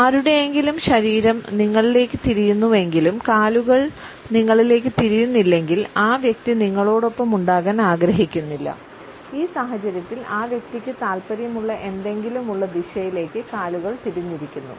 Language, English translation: Malayalam, If someone’s body is turned towards you, but one or both feet are not the person does not want to be with you; one or both feet point at something the person is interested in